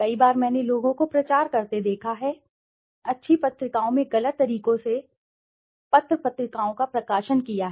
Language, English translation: Hindi, Many a times I have seen people publicizing, publishing papers in good journals with wrong methods